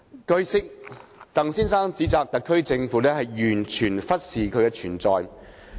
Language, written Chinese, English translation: Cantonese, 據悉，鄧先生指責特區政府"完全忽視其存在"。, It is learnt that Mr TANG has reproached the SAR Government for showing a total disregard of his existence